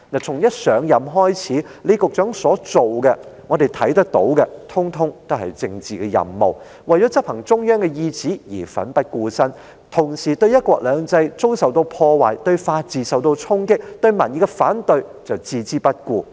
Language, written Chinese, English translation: Cantonese, 從一上任開始，我們看到李局長所做的，通統是政治任務，為了執行中央意旨而奮不顧身，同時對"一國兩制"遭受破壞、法治受到衝擊，以及民意的反對卻置之不顧。, We see that all the things Secretary LEE has done since he assumed office are political tasks . He has put his neck on the line to fulfil the intentions of the Central Authorities at the same time ignoring the damage to one country two systems the impact on the rule of law and the opposition from public opinion